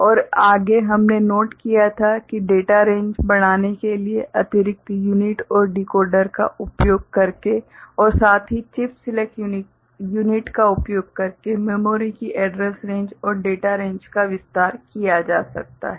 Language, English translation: Hindi, And further we had noted that address range and data range of memory can be expanded by using additional units and decoder for increasing the data range and also using chip select unit, together